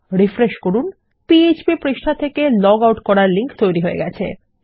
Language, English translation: Bengali, We refresh this and it will create a log out link, to log out from the php page